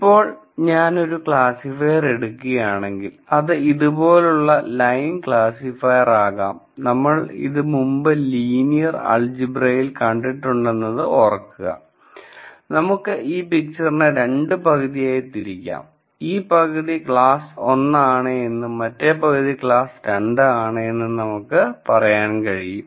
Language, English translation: Malayalam, Now, if I were to derive a classifier, then line like this could be a classifier and remember we have seen this in linear algebra before, I have 2 half spaces and I could say this half space is class 1 and this half space is class 2